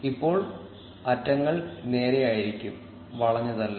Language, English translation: Malayalam, Now the edges will be straight and not curved